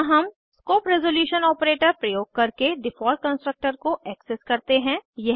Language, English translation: Hindi, Here we access the default constructor using the scope resolution operator